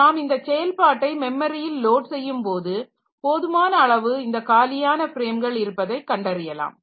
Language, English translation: Tamil, Now, while so when this process has to be loaded into memory we find out the sufficient number of free frames